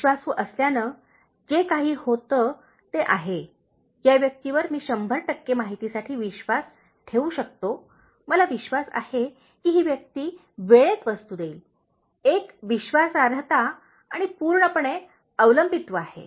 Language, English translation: Marathi, Being trustworthy, that is whatever happens, this person I can trust with hundred percent information, I can trust that this person will deliver goods in time, a reliability and totally dependable